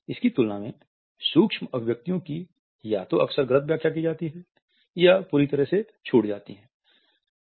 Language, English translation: Hindi, In comparison to that micro expressions are either often misinterpreted or missed altogether